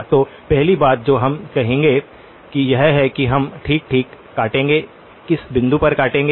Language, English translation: Hindi, So, the first thing that we will say is that we will truncate okay, truncate at what point